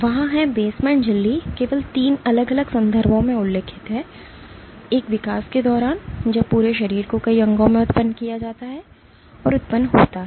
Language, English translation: Hindi, There are the basement membrane is breached only in 3 different context: one during development when the entire body is being generated in multiple organs and generated